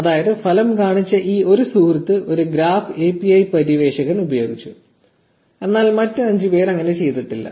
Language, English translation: Malayalam, So, which means that this one friend that showed up in the result has used a graph API explorer, but the other 5 have not